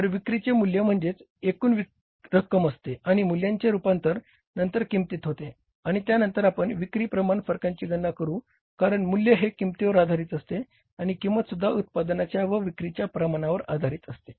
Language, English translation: Marathi, So, in the sales we will calculate the sales value variance, we will calculate the sales price variance and then we will calculate the sales volume variances because value is depending upon the price and price also depends upon the volume of the production and sales